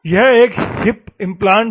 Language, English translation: Hindi, This is a hip implant